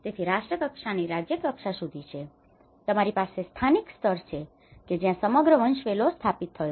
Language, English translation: Gujarati, So, there is from nation level to the state level, and you have the local level that whole hierarchy has been established